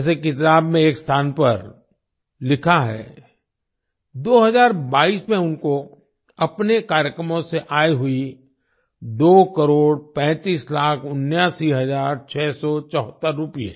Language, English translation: Hindi, As it is written at one place in the book, in 2022, he earned two crore thirty five lakh eighty nine thousand six hundred seventy four rupees from his programs